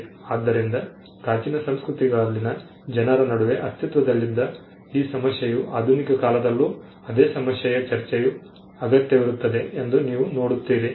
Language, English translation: Kannada, So, this issue that existed between the people in the ancient cultures you see that it also the same debate also requires in the modern times